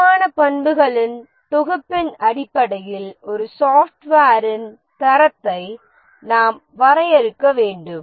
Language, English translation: Tamil, We need to define the quality of a software in terms of a set of quality attributes